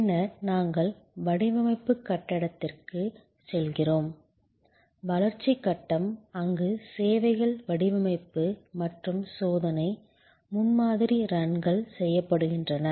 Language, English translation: Tamil, Then, we go to the design phase, the development phase, where services design and tested, prototype runs are made